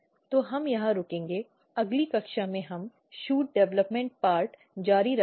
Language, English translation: Hindi, So, we will stop here in next class we will continue shoot development part